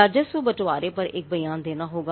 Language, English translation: Hindi, There has to be a statement on revenue sharing